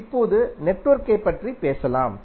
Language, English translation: Tamil, Now let us talk about the network